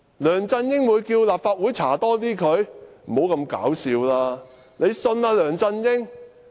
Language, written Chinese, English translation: Cantonese, 梁振英會要求立法會對他進行更多調查嗎？, Does LEUNG Chun - ying really want more investigation from the Legislative Council?